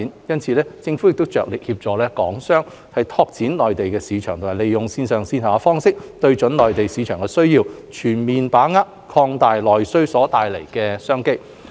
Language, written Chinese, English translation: Cantonese, 因此，政府着力協助港商拓展內銷市場及利用線上線下方式，對準內地市場的需要，全面把握擴大內需所帶來的商機。, In view of such development the Government strives to support Hong Kong enterprises in developing the domestic sales market and meeting the needs of the Mainland market through both online and offline modes with a view to extensively grasping the opportunities brought by the increase in domestic demand